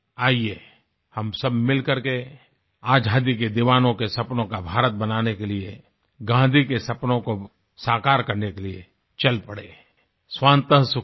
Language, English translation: Hindi, Come, let us all march together to make the India which was dreamt of by our freedom fighters and realize Gandhi's dreams 'Swantah Sukhayah'